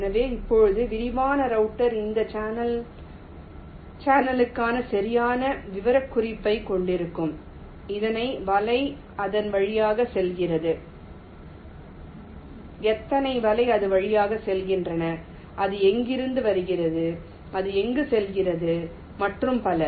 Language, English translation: Tamil, so now detailed router will be having the exact specification for this channel: how many nets are going through it, from where it is coming from, when it is going and so on